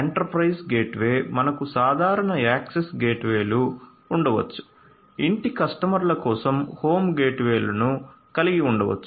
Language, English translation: Telugu, So, enterprise gateway; enterprise gateway, we can have normal access gateways, we can have home gateways for home customers and so on